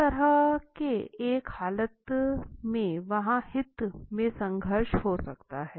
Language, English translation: Hindi, So, in such a condition there can be conflict in interest